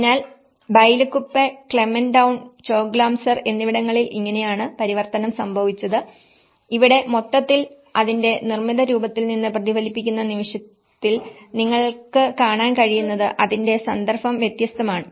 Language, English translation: Malayalam, So, this is how there has been a transition of Bylakuppe, Clement town and Choglamsar, so what you can see in the moment the context is different and here, the whole it is reflected from its built form as well